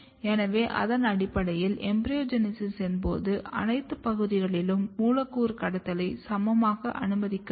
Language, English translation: Tamil, So, based on that, you can clearly say that during the embryogenesis, all the regions are not equally allowing the molecular trafficking